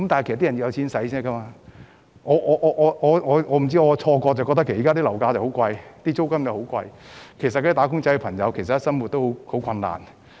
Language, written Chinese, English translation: Cantonese, 不知是否我的錯覺，我覺得現時樓價及租金均十分高昂，"打工仔"的生活理應十分困難。, I wonder if it is my false impression . I feel that property prices and rents are currently exorbitant and wage earners are living in dire strait